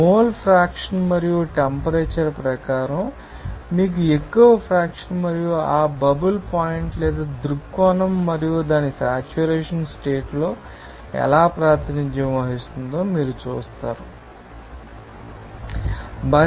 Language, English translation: Telugu, According to the mole fraction and temperature will be changing according to you know more fraction and how that bubble point or viewpoint and at its saturation condition can be represented that can you know, we, you know, from this you know this page diagram here